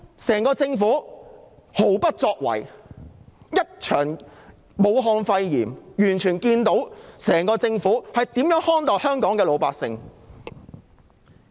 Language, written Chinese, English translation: Cantonese, 整個政府毫不作為，一場武漢肺炎便看清它如何看待香港的老百姓。, The inaction of the entire Government towards the outbreak of Wuhan pneumonia has clearly demonstrated how it treats the general public in Hong Kong